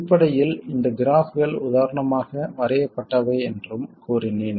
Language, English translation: Tamil, I also said that basically these graphs are drawn